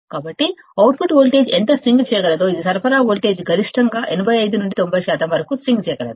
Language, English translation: Telugu, So, this is how much the output voltage can swing, it can swing for a maximum upto 85 to 90 percent of the supply voltage